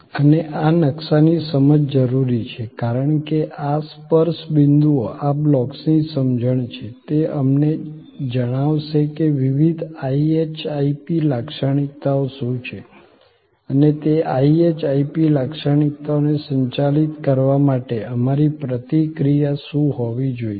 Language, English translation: Gujarati, And this understanding of this map is necessary, because these touch points are understanding of this blocks will tell us that, what are the different IHIP characteristics and what should be our responses to manage those IHIP characteristics